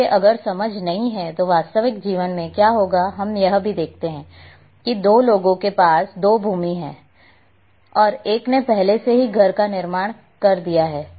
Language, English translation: Hindi, So, if if that understanding is not there then what would happen in real life we also see that two people are having two adjacent plots land plots and one has already constructed his house